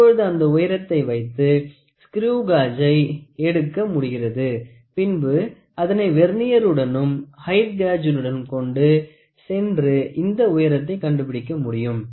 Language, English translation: Tamil, Now with this height what I can do is I can take it to a screw gauge I can take it to a Vernier I can take it to height gauge find out what is this height find out what is that height